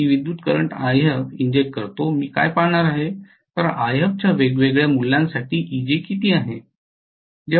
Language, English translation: Marathi, So I am going to inject a current I f, so what I am going to look at is how much is Eg for different values of I f